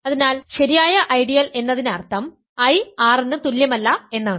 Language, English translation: Malayalam, So, proper ideal means I is not equal to R